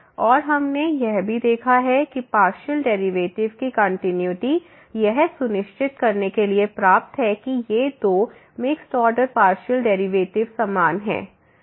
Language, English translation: Hindi, And what we have also seen that the continuity of the partial derivative is sufficient to ensure that these two mixed order partial derivatives are equal